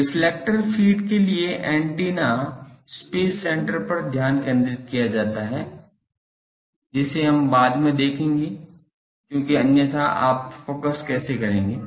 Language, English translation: Hindi, For reflectors feed the antennas space center is put at the focus, that we will see later because a otherwise how you determine focus